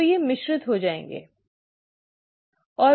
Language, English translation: Hindi, So these will get mixed up, right